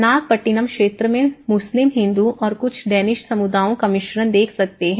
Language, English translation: Hindi, The Nagapattinam area, we can see a mix of Muslim, Hindu and also some of the Danish communities live there